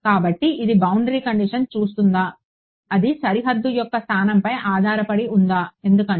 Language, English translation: Telugu, So, does it look at the boundary condition does it depend on the location of the boundary why because